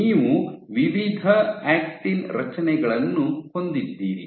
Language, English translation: Kannada, You have various different actin structures